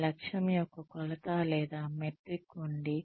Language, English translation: Telugu, There is a measure or a metric of that objective